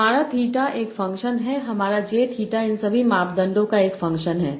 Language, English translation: Hindi, And my theta is a function of, my j theta is a function of all these parameters